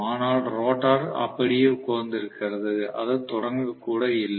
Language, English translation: Tamil, But the rotor is just sitting down, it is not even started